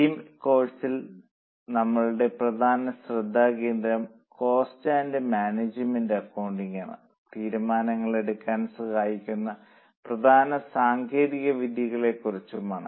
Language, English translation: Malayalam, In this course our focus is going to be on cost and management accounting mainly on the techniques which are used for decision making